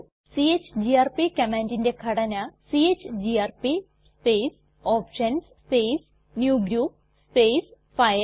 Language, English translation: Malayalam, The syntax for the chgrp command is chgrp space [options] space newgroup space files